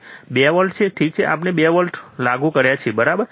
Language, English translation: Gujarati, 2 volts, alright so, we applied 2 volts, alright